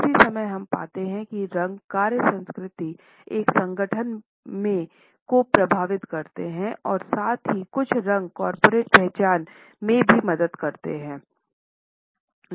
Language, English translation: Hindi, At the same time we find that colors impact the work culture in an organization as well as the corporate identity which can be created with the help of certain colors